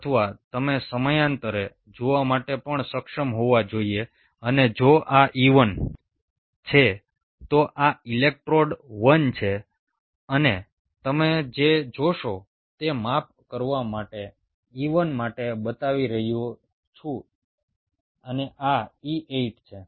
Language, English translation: Gujarati, or you should be also able to see parallely, and if this is e two, this is electrode one and what you will see is to scale